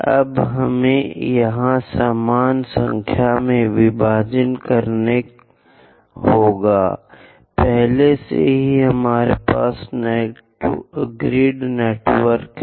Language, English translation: Hindi, Now, we have to divide into equal number of division here, already we have a grid network